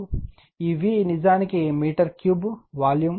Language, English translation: Telugu, This V is actually meter cube volume right